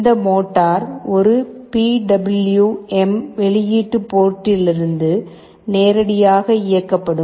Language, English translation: Tamil, This motor will be driven directly from a PWM output port